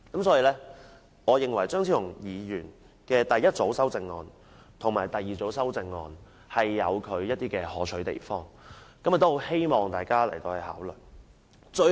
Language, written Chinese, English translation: Cantonese, 所以我認為張超雄議員的第一組和第二組修正案均有其可取之處，希望大家考慮。, Hence I find Dr Fernando CHEUNGs first and second groups of amendments desirable and hope that Members will consider them